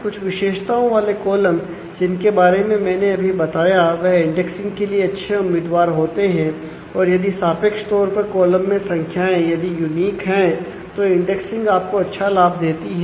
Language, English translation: Hindi, The columns with some of the characteristics I have just noted down are good candidates for indexing values are relatively unique in the column, then indexing will give you a good benefit